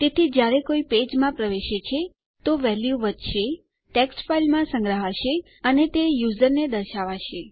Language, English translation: Gujarati, So every time someone enters the page, a value will be incremented, will be stored in a text file and it will be displayed to the user